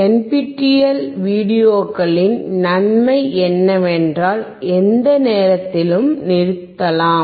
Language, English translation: Tamil, The advantage of NPTEL videos is that you can stop at any time